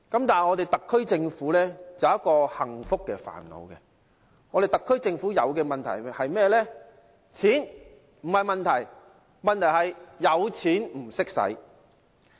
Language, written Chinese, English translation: Cantonese, 但是，特區政府有一個幸福的煩惱，特區政府面對的問題是甚麼呢？, However the Government of the Special Administrative Region SAR has a happy headache . What problem does the SAR Government face?